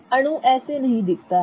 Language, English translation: Hindi, This is not how the molecule looks like